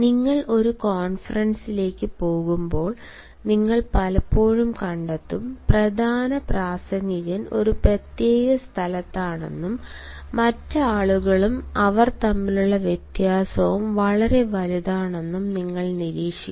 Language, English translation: Malayalam, when you are going to a conference, you will find that the main speaker is at a particular place and the other people, and the difference between them is wide apart